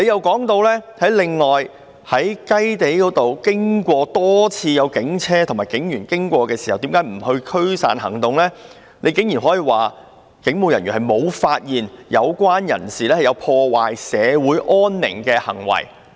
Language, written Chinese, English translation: Cantonese, 局長解釋為何警車及警員多次經過"雞地"，卻沒有作出驅散行動時，竟然說："人員無發現有關人士有破壞社會安寧的行為。, When the Secretary tried to explain why the police vehicles and police officers passed by Kai Tei many times without making dispersal operations he surprisingly said the officers concerned did not find any acts of breach of the peace